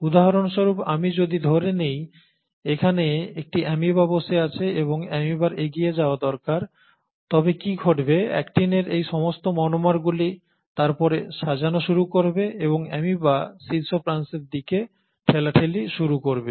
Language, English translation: Bengali, Let me take for example if you have an amoeba sitting here, and the amoeba needs to move forward, what will happen is all these monomers of actin will then start arranging and start pushing towards the leading edge of the amoeba